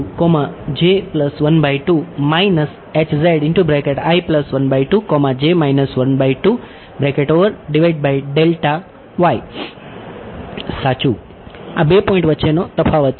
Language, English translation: Gujarati, Right the difference between these 2 points